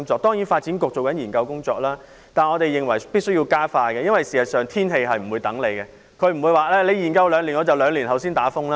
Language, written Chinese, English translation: Cantonese, 當然，發展局正進行研究工作，但我們認為必須要加快，因為天氣不會等我們，不會因為我們要研究兩年便在兩年後才刮颱風。, Of course the Development Bureau is currently conducting studies in this regard . However we consider it necessary for them to expedite their work because weather changes will wait for no one and typhoons will not wait to strike until we complete the studies two years later